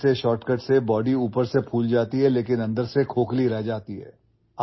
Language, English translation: Urdu, Friend, with such shortcuts the body swells from outside but remains hollow from inside